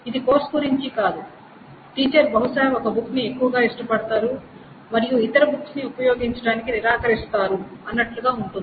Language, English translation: Telugu, It's not about the course, then the teacher probably prefers that book much more and refuses to use the other books and similar things may happen